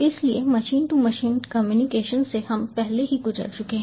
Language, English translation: Hindi, so machine to machine communication we have already gone through